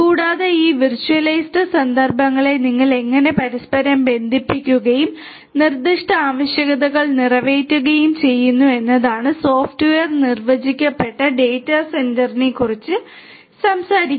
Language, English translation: Malayalam, And, how do you interconnect this virtualized instances and cater to the specific requirements is what software defined data centre talks about